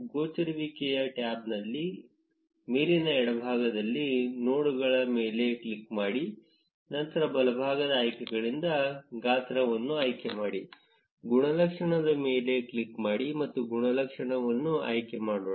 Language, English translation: Kannada, In the appearance tab, on the top left, click on nodes, then select the size from the right side options, click on attribute and let us choose an attribute